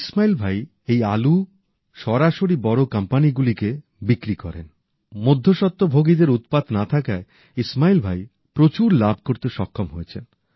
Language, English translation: Bengali, Ismail Bhai directly sells these potatoes to large companies, the middle men are just out of the question